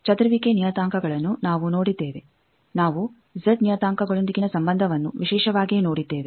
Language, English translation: Kannada, We have seen scattering parameters; we have seen relationship with Z parameters